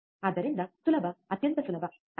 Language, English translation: Kannada, So, easy extremely easy, isn’t it